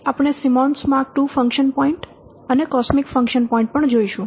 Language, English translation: Gujarati, That's Simmons Mark II function point and the cosmic function points